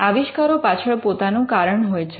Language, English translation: Gujarati, Inventions have their own reason